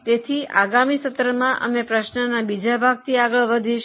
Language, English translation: Gujarati, So, next time we will continue with the second part of the question